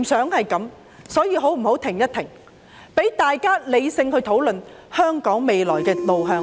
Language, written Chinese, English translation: Cantonese, 我們不想這樣，大家可否停下來，理性討論香港未來的路向？, We do not want this to happen . Will you please stop so that we can have rational discussions about the future direction of Hong Kong?